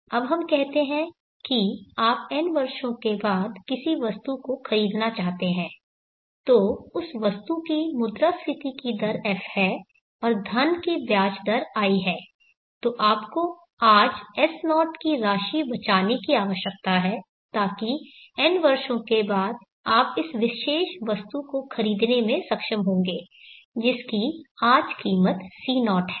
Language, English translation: Hindi, Now let us say that you want to purchase an item after n years the item has an inflation rate of F and the money has an interest rate of I, then you need to save S0 amount of money today, so that after n years you will be able to purchase this particular item which is today costing C0